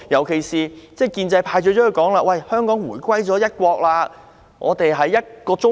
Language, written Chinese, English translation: Cantonese, 建制派最喜歡說，"香港回歸一國，我們是一個中國"。, The pro - establishment camp loves to say Hong Kong has returned to one country China